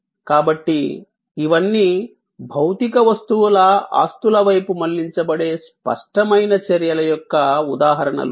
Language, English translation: Telugu, So, these are all elements of an examples of tangible actions directed towards material objects possessions